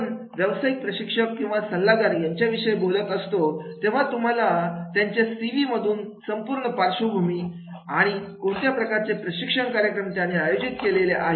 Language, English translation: Marathi, Whenever we talk about the professional trainers or consultants and you will find in their CV they are having the strong background that is the they have conducted this type of the training programs earlier also